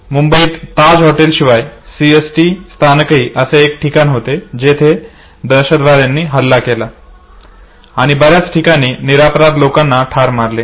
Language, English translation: Marathi, Besides hotel Taj CST station in Bombay also was one of the sides where the terrorists had attacked and killed lot many innocent people